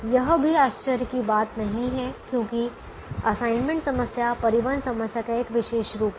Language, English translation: Hindi, it's also not surprising because the assignment problem is a special case of a transportation problem